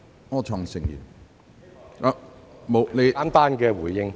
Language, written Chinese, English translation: Cantonese, 我只想作簡單的回應。, I only wish to give a brief reply